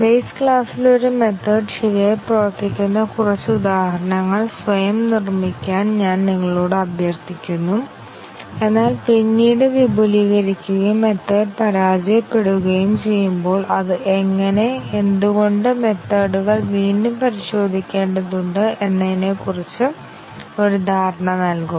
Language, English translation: Malayalam, I request you to construct few examples yourself, where a method works correctly in the base class, but then when extended derived and the method fails, so that will give you an understanding of how, why retesting of the methods is required